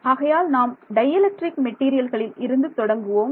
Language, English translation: Tamil, So, we will start with dielectric materials ok